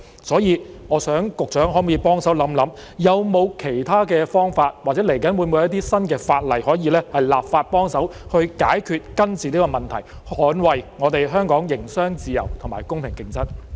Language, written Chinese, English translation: Cantonese, 所以，局長可否幫忙想一想，有否其他方法或接下來會否制定新的法例，可以幫助解決、根治這個問題，捍衞我們香港的營商自由和公平競爭？, Therefore can the Secretary offer help by thinking about whether there are other ways or whether new legislation will be enacted to help solve and eradicate this problem and safeguard the freedom of doing business and fair competition in Hong Kong?